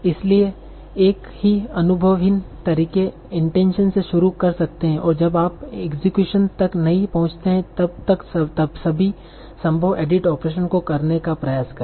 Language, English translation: Hindi, So one very naive method might be start with intention and try out all possible edit operations until unless you reach execution